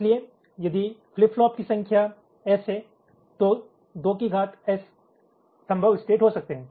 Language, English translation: Hindi, so if there are s number of flip flops, they can be in two to the power s possible states